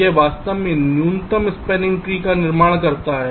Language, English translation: Hindi, it actually constructs a minimum spanning tree